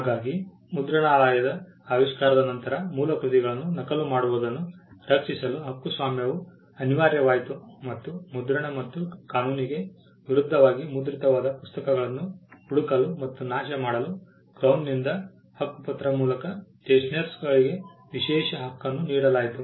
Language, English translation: Kannada, So, copyright became a necessity to protect original works from copying after the invention of the printing press and we saw that the stationers were granted the exclusive right by way of a charter by the Crown to print and also to search out and destroy the books printed in contravention of the statue what we refer to as the power of confiscation